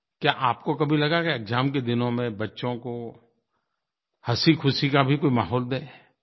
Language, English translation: Hindi, Have you ever thought of creating an atmosphere of joy and laughter for children during exams